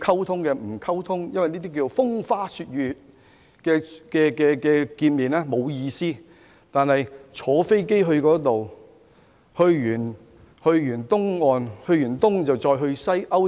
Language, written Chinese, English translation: Cantonese, 他們說風花雪月的見面沒有意思，但卻願意乘坐飛機去美國東岸、西岸以至歐洲。, They said that it was meaningless to hold meeting that engaged in inconsequential chats; yet they were willing to fly to the East Coast and West Coast of the United States and Europe